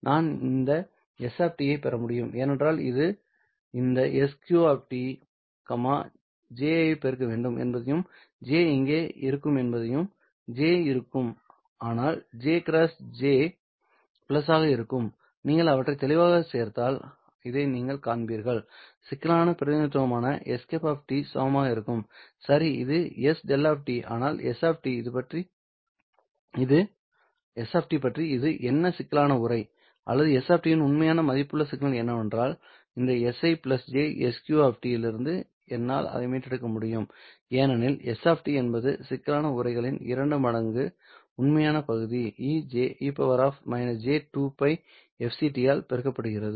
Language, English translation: Tamil, So this is your in phase component and this is your quadrature component you can very well show that if i take si of t plus j sq of t i should be able to obtain s hat of t because that would imply multiplying this sq of t by j here and that j will be there but j into minus j will be plus and then if you add them up clearly you will see that this would be equal to s hat of s tilda of t which is the complex representation well this is s tilde of t but what about s of t this is a complex envelope but what about my real valued signal s of t can i recover it from this s i plus j sq of t well i can because s of t is given by two times real part of the complex envelope being multiplied by E to the power minus J 2 pi f c t